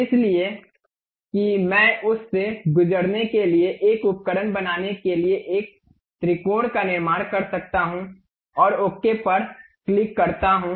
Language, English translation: Hindi, So, that I can really construct a triangle make a tool to pass through that and click ok